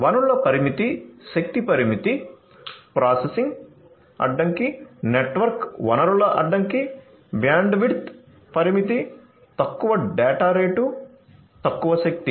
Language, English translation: Telugu, So, resource constrained, energy constraint, processing constraint the network resource itself is constrained, bandwidth constraint, low data rate, low energy